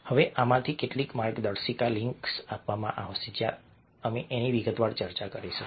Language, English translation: Gujarati, now some of this guidelines will be provided in the links where we will discuss this in detail